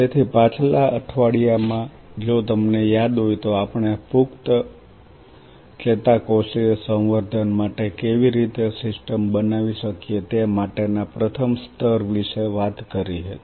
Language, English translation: Gujarati, So, last week if you remember we talked about the first level how we can create a system for adult neuronal culture